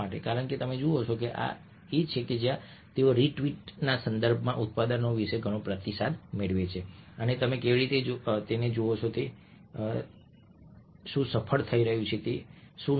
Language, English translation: Gujarati, because you see that this is where they get a lot of feedback about their products, how they are being perceived, what is being successful, what has been not